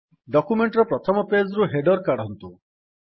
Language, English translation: Odia, Remove the header from the first page of the document